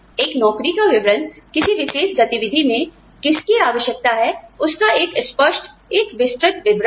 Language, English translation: Hindi, A job description is a clear, is a detailed explanation, of what a particular activity, requires